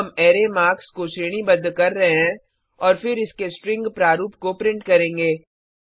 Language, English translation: Hindi, Now we are sorting the element of the array marks and then printing the string form of it